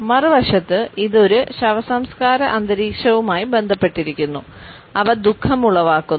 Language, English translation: Malayalam, On the other hand, it is also associated with a funeral atmosphere and they evoke sorrow